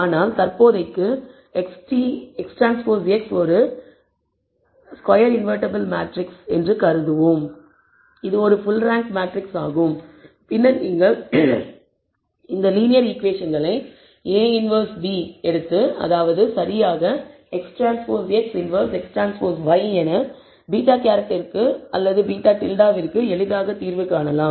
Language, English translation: Tamil, But at for the time being let us assume that X transpose X which is a square matrix is invertible it is a full rank matrix and then you can easily find the solution for beta hat solve this linear set of equations by taking a inverse b which is exactly X transpose X inverse X transpose y